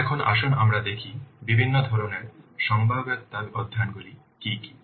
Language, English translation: Bengali, Now let's see what are the different types of feasibility study